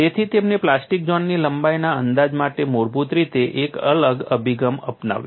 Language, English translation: Gujarati, So, he fundamentally took a different approach to estimation of plastic zone length